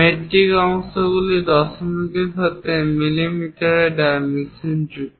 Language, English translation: Bengali, Metric parts are dimensioned in mm with decimals